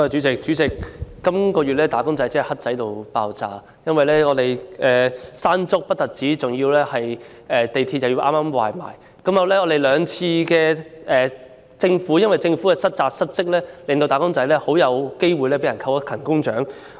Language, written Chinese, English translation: Cantonese, 主席，"打工仔"在本月真的很倒霉，先後經歷了颱風"山竹"襲港及港鐵嚴重故障，而在兩次事件中，均由於政府失職，致使他們很可能被扣勤工獎。, President wage earners were really unfortunate this month having experienced respectively the onslaught of Typhoon Mangkhut and a serious failure of the Mass Transit Railway . They are likely to have their good attendance bonuses withheld due to the dereliction of duties on the part of the Government in both instances